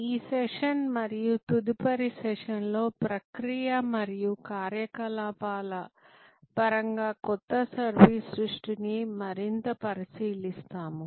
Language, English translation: Telugu, In this and next session, we will look at new service creation more in terms of process and operations